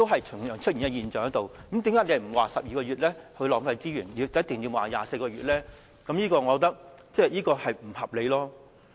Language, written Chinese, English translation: Cantonese, 出現相同的現象，那麼為何不說12個月會浪費資源，而說24個月便一定會呢？, The same situation would arise so why is it not said that a 12 - month period will lead to a waste of resources but that a 24 - month period surely will?